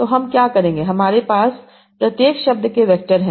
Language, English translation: Hindi, I have the vectors for each of the words